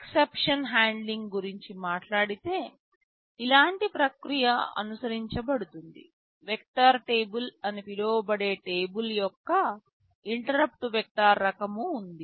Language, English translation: Telugu, Talking about exception handling, a process like this is followed; there is an interrupt vector kind of a table called vector table